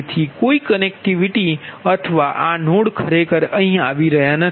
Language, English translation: Gujarati, so no connectivity or this, no, actually is not coming here